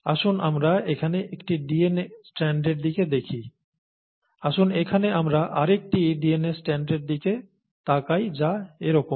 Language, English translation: Bengali, Let us look at one strand of the DNA here like this, let us look at the other strand of DNA here that is like this